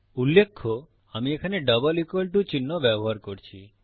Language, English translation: Bengali, Notice I am using a double equal to sign here